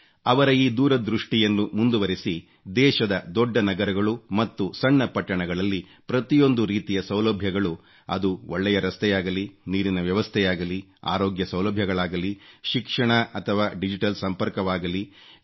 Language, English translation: Kannada, In continuance with his vision, smart city mission and urban missionwere kickstarted in the country so that all kinds of amenities whether good roads, water supply, health facilities, Education or digital connectivity are available in the big cities and small towns of the country